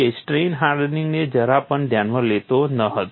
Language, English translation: Gujarati, It was not considering strain hardening at all